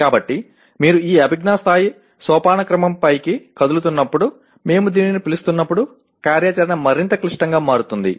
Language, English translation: Telugu, So as you keep moving up this cognitive level hierarchy the activity can become more and more complex as we call it